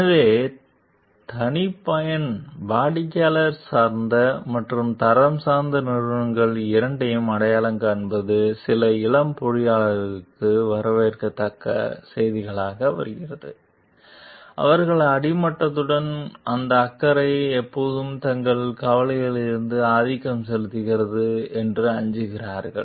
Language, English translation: Tamil, So, the identification of both custom, customer oriented and quality oriented companies comes as welcome news to some young engineers, who fear that concern with the bottom line always dominates their concerns